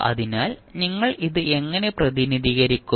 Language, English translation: Malayalam, So, how will you represent